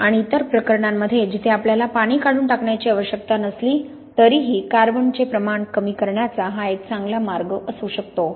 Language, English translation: Marathi, And in other cases where even though you do not need to remove the water it may be good way of minimizing the amount of carbonation